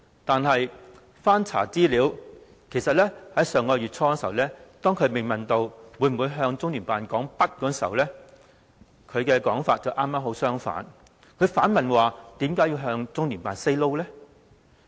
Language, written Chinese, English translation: Cantonese, 但是，資料顯示，當她在上月初被問到會否向中聯辦說不，她的說法正好相反，還反問為何要向中聯辦 say no？, However according to information when she was asked early last month whether she would say no to LOCPG her response was just the contrary asking why she had to say no to LOCPG